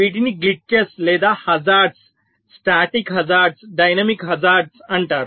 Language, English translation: Telugu, these are called glitches or hazards: static hazard, dynamic hazard